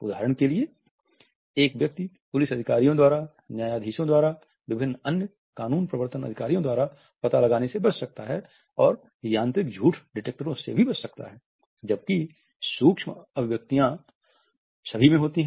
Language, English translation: Hindi, However, a person can still escape the detection by professionals, a person can escape detection for example by police officers, by judges, by various other law enforcement agents and can also escape the mechanical lie detectors, micro expressions occur in everyone